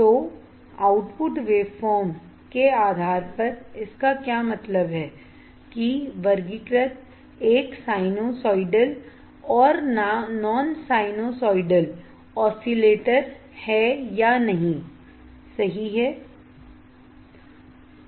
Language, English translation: Hindi, So, based on output waveform what does that mean that the classified a sinusoidal and non sinusoidal oscillators, right